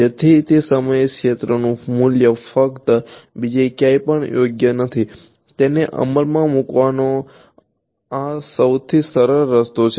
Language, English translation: Gujarati, So, the value of the field at that point only not anywhere else right, this is the simplest way to implement it